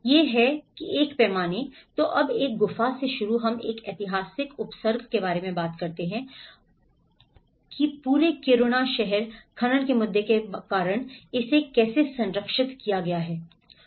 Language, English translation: Hindi, It is a scale of, so now starting from a cave we talk about a historic precinct and we talk about even a whole city of Kiruna, how it has been protected because of the mining issue